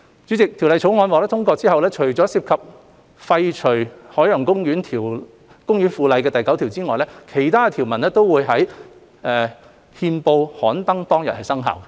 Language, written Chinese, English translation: Cantonese, 主席，《條例草案》獲通過後，除涉及廢除《海洋公園附例》第9條外，其他條文均會在憲報刊登當日生效。, President upon the passage of the Bill all provisions will come into effect on the day of gazettal except for clause 9 which involves the repeal of the Ocean Park Bylaw